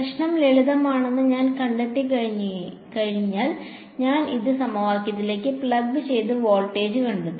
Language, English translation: Malayalam, Once I find rho the problem is simple, I will just plug it into this equation and find the voltage